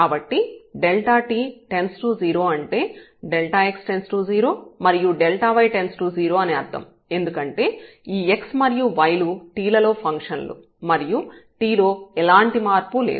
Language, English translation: Telugu, So, delta t goes to 0 means delta x goes to 0 and delta y goes to 0 because this x and y they are functions of function of t and if there is no variation in t